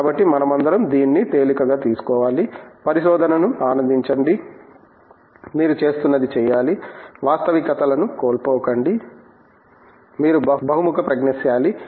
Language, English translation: Telugu, So, I think we all have to take it easy, enjoy the research, do what you are doing, don’t lose sight of realities, be able to project that you are versatile